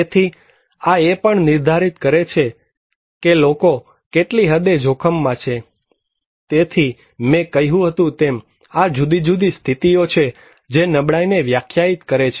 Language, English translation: Gujarati, So, these also define that what extent people are at risk, so as I said that, there are different conditions that define the vulnerability